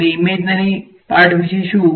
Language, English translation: Gujarati, And, what about the imaginary part